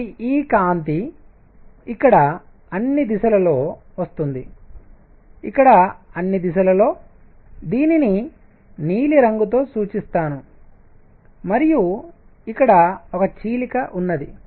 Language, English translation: Telugu, So, this light is coming out in all directions here let me make it with blue in all directions here and here is a slit